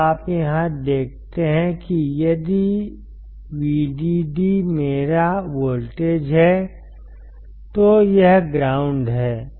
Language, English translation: Hindi, So, you see here that if vdd is my voltage this is ground